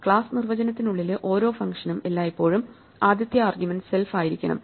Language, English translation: Malayalam, Just remember that every function inside a class definition should always have the first argument as self and then the actual argument